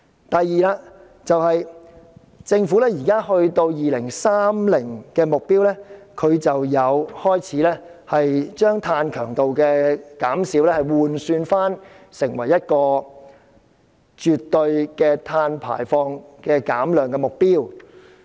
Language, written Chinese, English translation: Cantonese, 第二，政府就2030年的目標，已將碳強度的減少換算成為絕對碳排放減量的目標。, Secondly in respect of the target by 2030 the Government has already changed the reduction in carbon intensity into the reduction in absolute carbon emissions